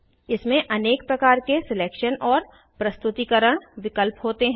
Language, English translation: Hindi, It has a variety of selection and rendering options